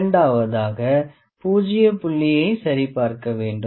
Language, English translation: Tamil, And number two is zero point checking